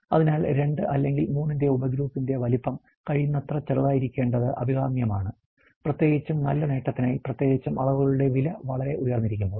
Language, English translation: Malayalam, Therefore, desirable that the size be as a small as possible of the subgroup, subgroup of 2 or 3 may often be used to good advantage particularly, where the cost of measurements is very high